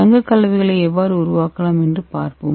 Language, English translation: Tamil, Let us see how we can synthesis gold colloids